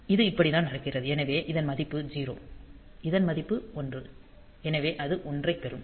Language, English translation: Tamil, So, this is how this is taking place, so this value is 0, this value is 1; so, that will be getting a 1